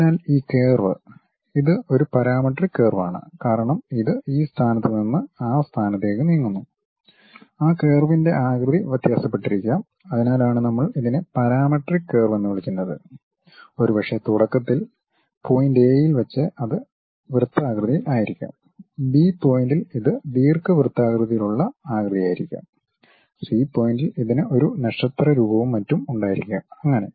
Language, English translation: Malayalam, So, this curve it is a parametric curve as it is moving from this point to that point, the shape of that curve might be varying that is the reason what we why we are calling it as parametric curve maybe initially at point A it might be in circular format; at point B it might be ellipse elliptical kind of shape; at point C it might be having something like a star kind of form and so on